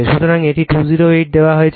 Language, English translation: Bengali, So, it is given 208